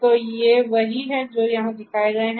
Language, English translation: Hindi, So, these are the ones that are shown over here